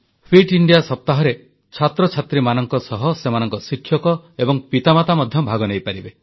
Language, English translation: Odia, Students as well as their teachers and parents can also participate in the Fit India Week